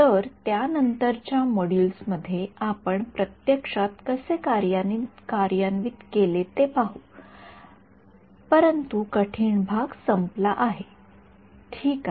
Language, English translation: Marathi, So, in subsequent modules we will look at how do we actually implemented, but the hard part is over I ok